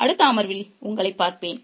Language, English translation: Tamil, I'll see you in the next session